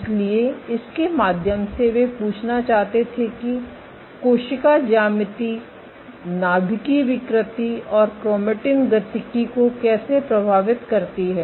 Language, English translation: Hindi, So, through this they wanted to ask that how does cell geometry influence nuclear deformability and chromatin dynamics